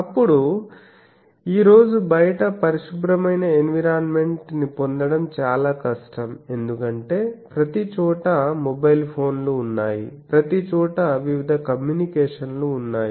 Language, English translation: Telugu, Then in outside today it is very difficult to get a clean environment because, there are mobile phones everywhere there are various communications everywhere